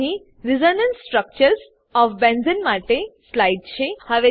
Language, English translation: Gujarati, Here is slide for the Resonance Structures of Benzene